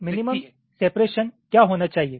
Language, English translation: Hindi, so what should be the minimum separation